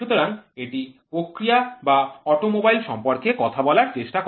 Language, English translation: Bengali, So, this will try to talk about the process or the automobile